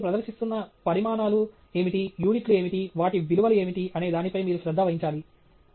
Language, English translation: Telugu, In a graph, you should pay attention to what are the quantities you are presenting, what are the units, what are the, you know, values that they have